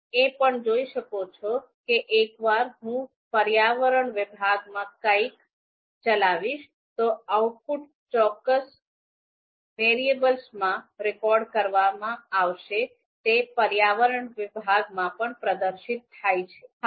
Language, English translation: Gujarati, You can also see that in the environment section once I execute something and that output is recorded in a particular you know variable, immediately it is also displayed in the environment section as well